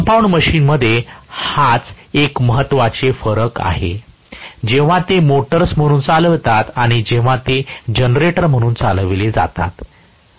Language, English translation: Marathi, So, this is an important difference between the compound machines, when they are operated as motors and when they are operated as generators